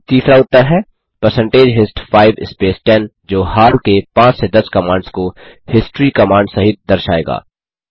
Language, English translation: Hindi, And Then third answer is percentage hist 5 space 10 will display the recently typed commands from 5 to 10 inclusive of the history command